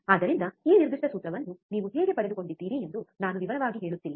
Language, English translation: Kannada, So, I am not going into detail how you have derived this particular formula